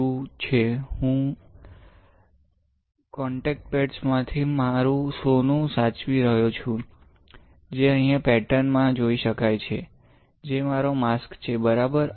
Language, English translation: Gujarati, So, what is having, I am saving my gold from the contact pads; which you can see here in the pattern, which is my mask ok, this is my mask